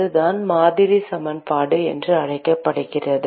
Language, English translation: Tamil, That is what is called the model equation